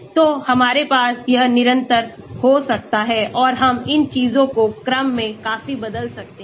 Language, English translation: Hindi, So, we can have this constant and we can have these things changed quite in order